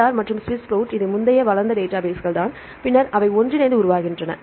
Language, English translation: Tamil, PIR and the SWISS PROT right this is the earlier developed databases right then they merge together to form